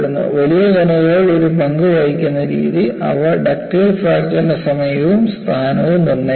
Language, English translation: Malayalam, And what way the large particles play a role is, they determine the instant and location of ductile fracture